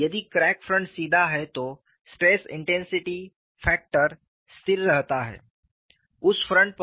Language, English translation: Hindi, If the crack front is straight then the stress intensity factor remains constant on that front